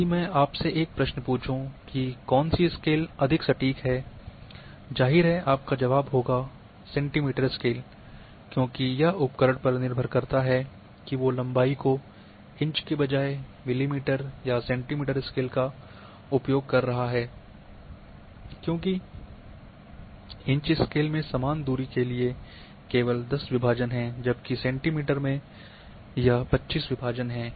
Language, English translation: Hindi, If I ask a question which scale is more precise; obviously, your answer would be the centimetre scale,because it depends on the instrument precisely measure length using the millimetre or centimetre scale rather than inch scale because in inch scale the divisions are only 10 for the same distance that is 2